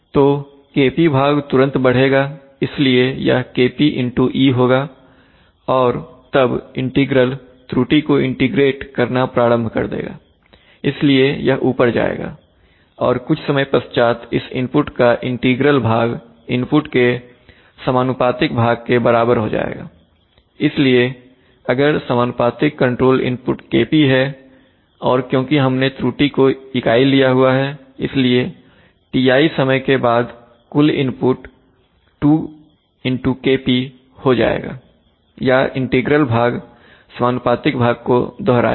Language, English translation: Hindi, So immediately the Kp part will rise, so this will be Kp into e and then the integral term will start integrating the error, so it will go up right and after sometime this integral part of the input will equal the proportional part of the input, so the so it turns out that after exactly after Ti amount of time the input will become, if the proportional control input is Kp because I have taken the error as unity then after Ti amount of time the total input will become 2 Kp or the integral part will repeat the proportional part